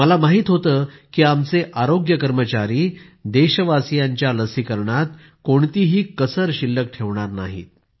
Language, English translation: Marathi, I knew that our healthcare workers would leave no stone unturned in the vaccination of our countrymen